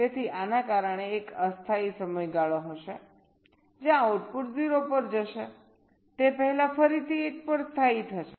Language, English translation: Gujarati, so because of this, there will be a temporary period where the output will go to zero before again settling back to one